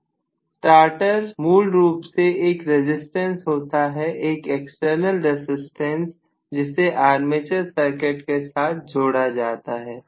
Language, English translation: Hindi, So, the starter is basically a resistance, external resistance that is included in the armature circuit, fine